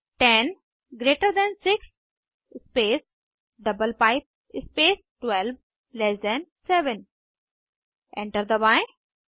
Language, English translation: Hindi, 10 greater than 6 space double pipe space 12 less than 7 Press Enter